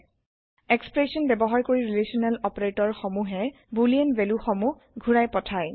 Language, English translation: Assamese, Expressions using relational operators return boolean values